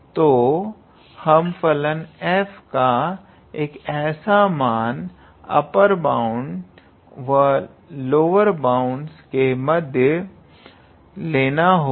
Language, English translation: Hindi, So, we are taking any value of the function f between the upper bound and lower bound